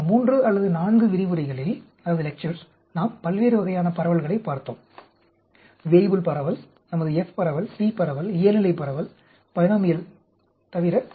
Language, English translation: Tamil, So, we looked at different types of distributions over the past three or four lectures; the Weibull distribution, apart from our, the f distribution, t distribution, normal distribution, binomial